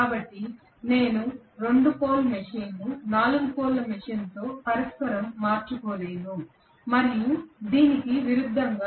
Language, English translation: Telugu, So I cannot interchange a 2 pole machine with 4 pole machine and vice versa I cannot do that